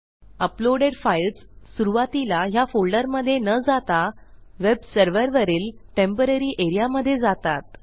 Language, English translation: Marathi, When the files are uploaded initially they go into a temporary area on the web server and NOT into this folder